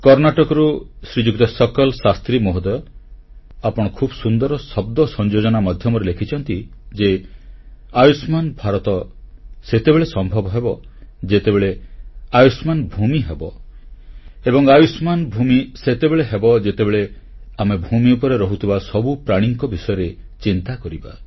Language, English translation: Odia, Shriman Sakal Shastriji, you mentioned 'Karnataka'… you beautifully maintained a delicate balance between words when you wrote 'Ayushman Bharat'; 'Long live India' will be possible only when we express 'Ayushman Bhoomi; 'Long live the land'; and that will be conceivable only when we begin feeling concerned about every living being on this land